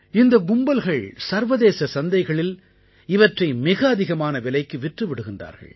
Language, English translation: Tamil, These gangs sell them at a very high price in the international market